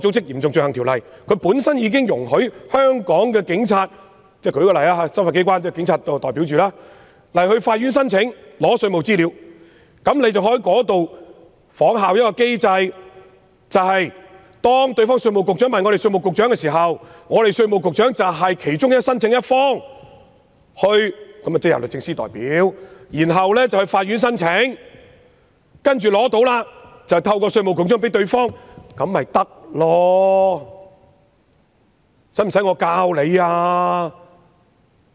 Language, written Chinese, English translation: Cantonese, 由於該等條例已容許執法機關——我且以香港警察為例——向法院申請索取稅務資料，當局可以仿效該機制，當對方稅務局向本港稅務局局長查詢時，本港稅務局局長即為申請一方，由律政司代表向法院提出申請，待取得資料後，便經稅務局局長向對方提供，這便可以了。, Since these ordinances allow law enforcement agencies such as the Police Force to apply to the Court to request taxation information the authorities may follow this mechanism . When the revenue agency of the requesting party makes enquiries with the Inland Revenue Department IRD of Hong Kong the Commissioner represented by DoJ will submit an application to the Court in respect of the request . After the Commissioner receives the information the information will be provided to the requesting party via the Commissioner